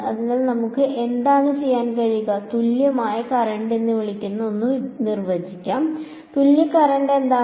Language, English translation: Malayalam, So, let us what should we what we can do is, we can write define something called a equivalent current and what is equivalent current